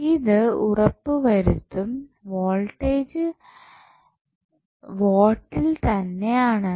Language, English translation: Malayalam, So, that voltage would remain in volts